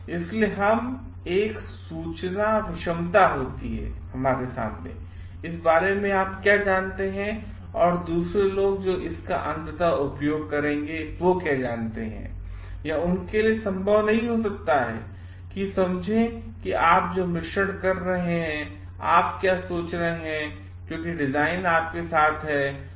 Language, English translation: Hindi, So, always there is an information asymmetry between what you know and what the others who will be ultimately using it know because it may not be possible for them to understand what is the mixing that you are doing, what you are thinking because the design is there with you